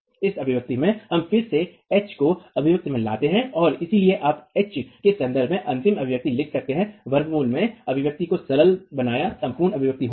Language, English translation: Hindi, In this expression again we bring in H into the expression and therefore you can write down the final expression in terms of H simplifying the expression in the under root, the entire expression